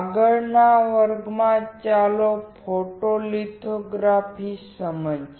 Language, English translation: Gujarati, In the next class, let us understand photolithography